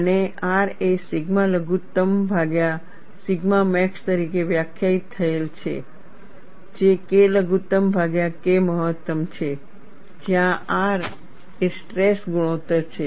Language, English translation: Gujarati, So, in this case R is greater than 0, and R is defined as sigma minimum divided by sigma max, which is equal to K minimum divided by K max, where R is the stress ratio